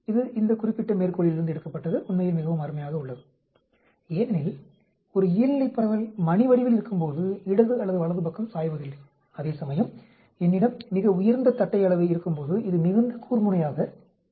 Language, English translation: Tamil, This was taken from this particular reference actually is very nice because, a normal distribution a bell shaped, there is no leaning towards left or right, whereas when I have very high kurtosis it becomes very peaked